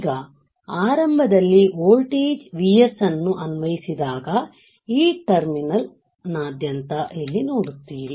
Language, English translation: Kannada, Now when a voltage Vs is initially applied when we apply the voltage Vs, you see here across this terminal